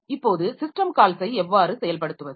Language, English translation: Tamil, Now, how do we implement the system call